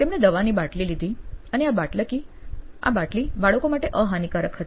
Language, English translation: Gujarati, So, she took the bottle of medicine and this bottle of medicine is child proof